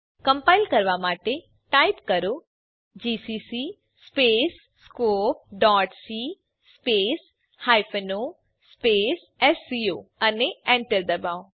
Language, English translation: Gujarati, To compile type, gcc space scope.c space hyphen o space sco and press enter